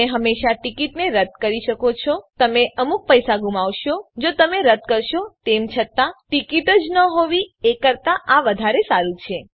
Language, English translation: Gujarati, You can always cancel the tickets you will lose some money if you cancel however this may be better than not having a ticket at all You cannot buy a ticket in the last minute